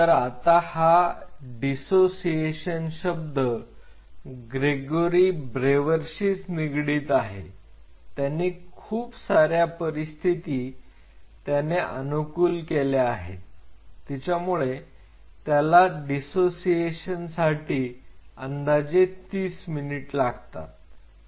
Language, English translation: Marathi, Now, this dissociation which again the word has to be referred to Gregory brewer, he optimized the condition he found that this dissociation more or less takes around 30 minutes